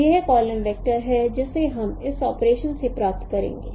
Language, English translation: Hindi, So this is a column vector that we will get from this operation